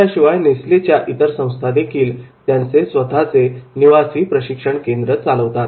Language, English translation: Marathi, In addition, a number of Nestle's operating companies run their own residential training centers